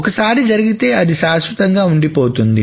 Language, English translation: Telugu, Once it happens, it remains, it is permanent